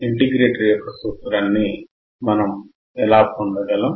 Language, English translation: Telugu, How can we derive the formula of an integrator